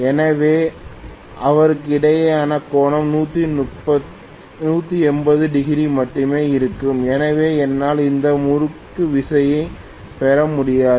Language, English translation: Tamil, So the angle between them will be only 180 degrees so I will not be able to really get any torque